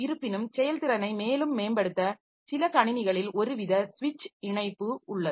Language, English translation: Tamil, However, some systems to improve the performance further, so we have got a some sort of switch connection